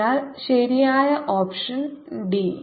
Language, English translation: Malayalam, so the correct option is d